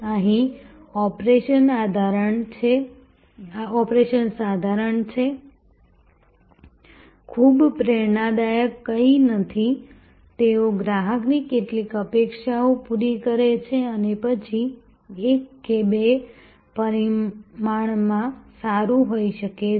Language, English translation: Gujarati, Here, the operation is mediocre, there is nothing very inspiring, they meet some customer expectation and then, may be good in one or two dimensions